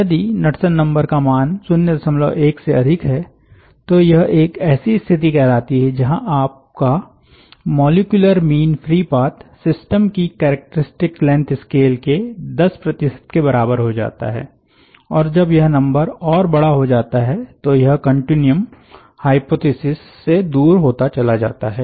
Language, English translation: Hindi, if the knudsen number is greater than point one, so to say, then it comes to us state where your mean free path threatens to be ten percent of the characteristic system length scale and when it goes on larger and larger, there is a stronger and stronger deviation from the continuum hypothesis